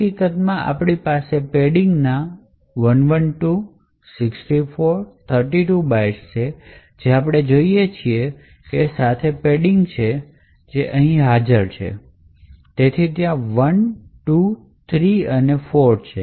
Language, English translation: Gujarati, In fact, we have 112 minus 64 minus 32 bytes of padding that we see is the padding with A’s which is actually present from here to here so there are 1, 2, 3 and 4